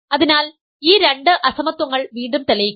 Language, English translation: Malayalam, So, again let us prove these two inequalities